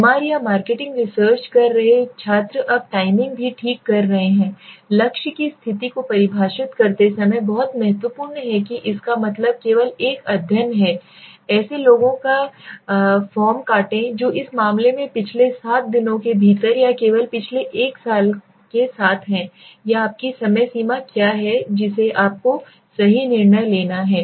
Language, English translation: Hindi, Students who are doing a MR or marketing research okay now timing, also is very important while defining the target position so that means a study only which has been deduct a form of people who within the last seven days in this case or only with the last one year or what is your time frame that you have to decided right